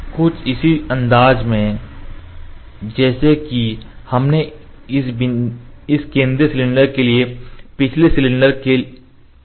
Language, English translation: Hindi, In a similar fashion as we did for the previous cylinder for this central cylinder